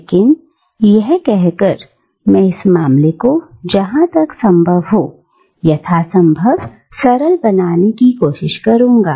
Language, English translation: Hindi, But, having said that, I will try and simplify the matter as far as possible without making it too simplistic